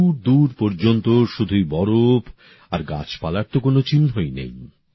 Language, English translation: Bengali, With snow spread far and wide, there is no sign of any vegetation anywhere